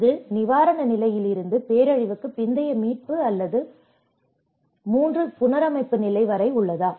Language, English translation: Tamil, Is it from the relief stage to the post disaster recovery or the whole reconstruction stage